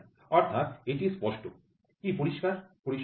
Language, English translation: Bengali, So, it is clear; what is clear, so, what is a range